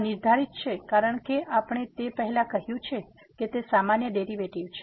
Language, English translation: Gujarati, This is defined as we said before it is the usual derivative